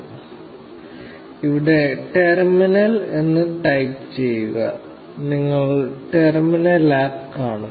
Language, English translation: Malayalam, Now, here type in terminal, and you should see the terminal app